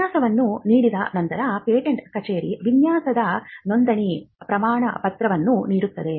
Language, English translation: Kannada, When a design is granted, the patent office issues a certificate of registration of design